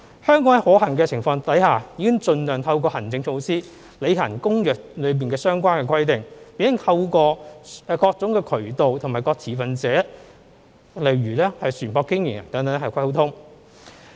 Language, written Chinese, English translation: Cantonese, 香港在可行的情況下已盡量透過行政措施履行《公約》的相關的規定，並透過各種渠道通知各持份者，如船舶經營人等作溝通。, In Hong Kong we have been endeavouring to implement the requirements of the Convention through administrative measures as much as possible . And we have informed all stakeholders such as ship operators through all possible channels